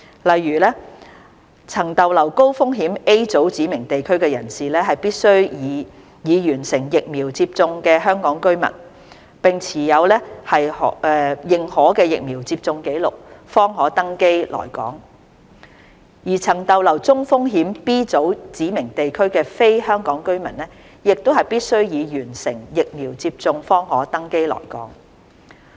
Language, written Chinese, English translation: Cantonese, 例如，曾逗留高風險 A 組指明地區的人士，必須為已完成疫苗接種的香港居民並持認可疫苗接種紀錄，方可登機來港；而曾逗留中風險 B 組指明地區的非香港居民，亦必須已完成疫苗接種方可登機來港。, For example people who have stayed in high - risk Group A specified places can only board flights for Hong Kong if they are Hong Kong residents HKRs who are fully vaccinated and hold a recognized vaccination record . Non - HKRs who have stayed in medium - risk Group B specified places must also be fully vaccinated in order to board flights for Hong Kong